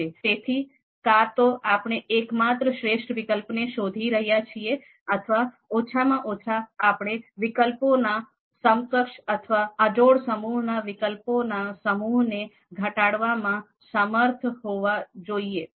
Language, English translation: Gujarati, So, either we are looking for best alternative single best alternative or at least we should be able to reduce the set of alternatives to a you know equivalent or incomparable set of you know alternatives